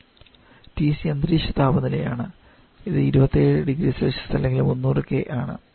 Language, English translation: Malayalam, Let us say TC is atmospheric temperature, which is 27 degree Celsius